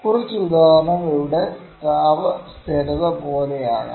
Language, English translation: Malayalam, A few examples where can be like thermal stability